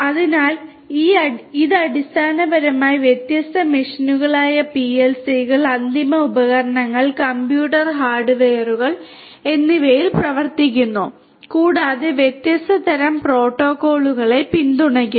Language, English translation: Malayalam, So, it basically runs on different machines PLCs, end devices, computer hardware and so on and supports different varied different types of protocols